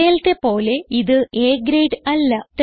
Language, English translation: Malayalam, It is not A grade as it displayed before